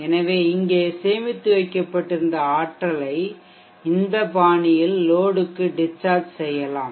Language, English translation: Tamil, So you can discharge the energy that was stored hereinto the load in this fashion, this is called the discharging mode